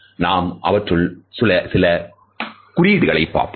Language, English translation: Tamil, Let’s look at some of these symbols